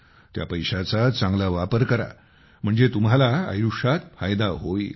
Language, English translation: Marathi, Use that money well so that your life benefits